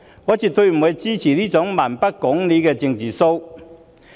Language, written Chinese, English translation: Cantonese, 我絕不支持這種蠻不講理的"政治騷"。, I utterly disapprove of this kind of unreasonable political grandstanding